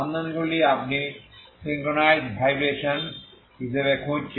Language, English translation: Bengali, Solutions you look for as a synchronized vibrations, okay synchronized vibrations